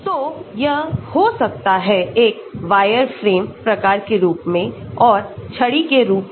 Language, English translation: Hindi, So, it can be a wireframe type of form, and stick